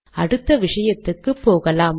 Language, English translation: Tamil, Lets go to the next topic